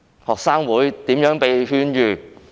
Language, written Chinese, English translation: Cantonese, 學生會如何被勸諭噤聲？, How have student associations been advised to keep silent?